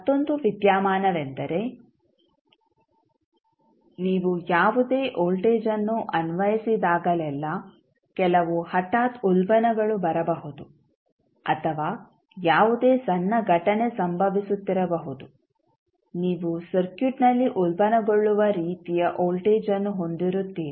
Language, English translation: Kannada, Another phenomena is that whenever you apply any voltage there might be some sudden search coming up or maybe any event which is happening very for very small time period, you will have 1 search kind of voltage appearing in the circuit